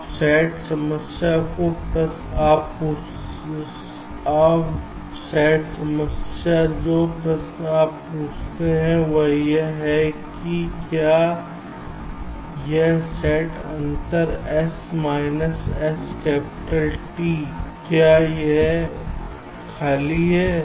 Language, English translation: Hindi, now the sat problem, the question you ask, is that whether this set difference, s minus s capital t, is it empty